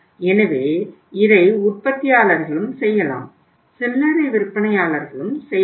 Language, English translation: Tamil, It can be done by the retailers also